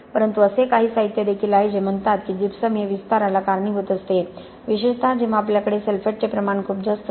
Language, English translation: Marathi, But there is also some literature which says gypsum formation causes expansion especially when you have very high concentration of sulphates that is some controversy regarding that